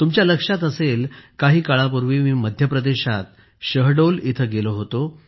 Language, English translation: Marathi, You might remember, sometime ago, I had gone to Shahdol, M